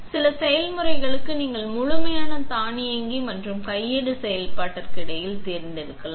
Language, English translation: Tamil, For some processes, you can select between fully automatic and manual operation